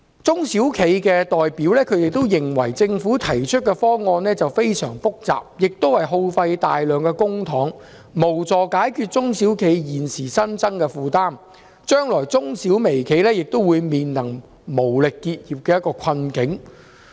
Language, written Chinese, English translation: Cantonese, 中小企代表認為，政府提出的方案非常複雜，會耗費大量公帑，卻無助解決中小企現時新增的負擔，將來中小微企也會面臨因無力應付而結業的困境。, Representatives of SMEs consider that the Governments proposal is very complicated and costing a large amount of public money but it cannot address the additional burden imposed on SMEs now and the micro - sized enterprises and SMEs will face the difficulty of having to close down due to a lack of means to meet the payments in future